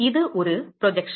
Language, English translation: Tamil, It is a projection